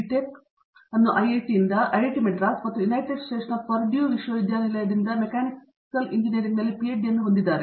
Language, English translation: Kannada, Tech in Mechanical Engineering from IIT, Madras and PhD from Purdue University in United States also in the area of Mechanical Engineering